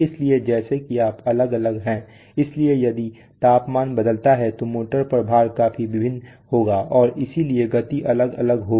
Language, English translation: Hindi, So as you are varying is so if the temperature varies the load on the motor will vary enormously and therefore the speed will vary